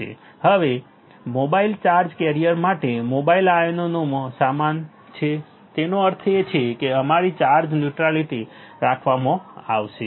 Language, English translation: Gujarati, Now, for mobile charge carrier is equal to the in mobile ions so; that means, our charge neutrality will be maintained correct